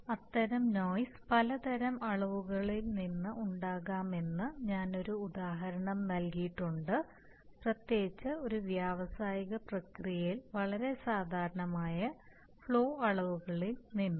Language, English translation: Malayalam, And as I have given an example that such noise may come from various kinds of measurements especially flow measurements which are very common in an industrial process